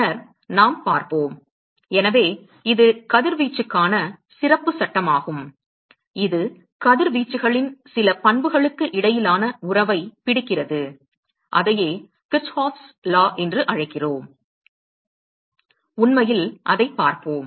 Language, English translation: Tamil, And then we will look at; so, this is special law for radiation which captures the relationship between certain properties of radiations and that is what called Kirchhoffís law and we will actually look at that